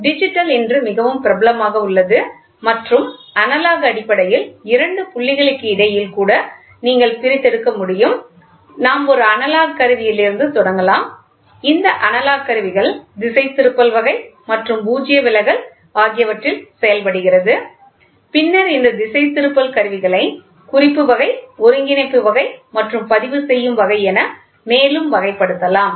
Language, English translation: Tamil, Digital is today very popular and analog is basically you can discretize between even between two points; we can start doing for a analogous instrument, this analogous works on deflection, deflecting type and null deflection, then this deflecting can be further classified into indicating, integrating and recording instruments